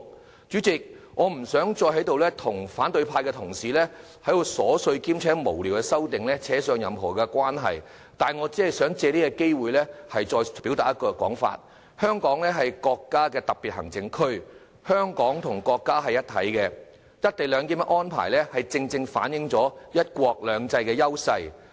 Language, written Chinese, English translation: Cantonese, 代理主席，我不想再與反對派的同事糾纏，跟這些瑣碎無聊的修正案扯上任何關係，只想藉此機會表達一個信息：香港是國家的特別行政區，香港和國家是一體的，"一地兩檢"安排正正反映了"一國兩制"的優勢。, Deputy Chairman rather than wrangling further with Honourable colleagues from the opposition camp and getting entangled in any way in these frivolous amendments I wish only to take this opportunity to convey a message with Hong Kong being a Special Administrative Region of the country and Hong Kong and the country being one single entity the co - location arrangement precisely reflects the advantages of one country two systems